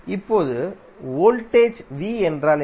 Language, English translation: Tamil, Now, what is voltage V